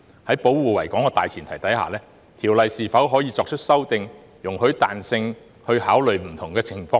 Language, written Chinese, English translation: Cantonese, 在保護維港的大前提下，《條例》是否可作出修訂、容許彈性，以考慮不同的情況呢？, Under the premise of protecting the Victoria Harbour can the Ordinance be amended to allow flexibility to take different circumstances into account?